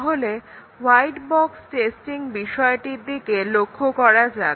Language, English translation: Bengali, So, let us look at white box testing